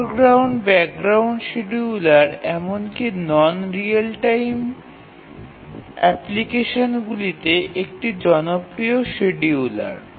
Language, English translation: Bengali, The foreground background scheduler is a popular scheduler even in non real time applications